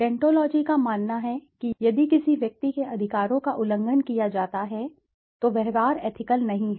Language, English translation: Hindi, Deontology holds that if any individual, if an individual s rights are violated then the behavior is not ethical